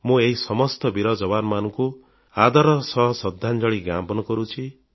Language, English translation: Odia, I respectfully pay my homage to all these brave soldiers, I bow to them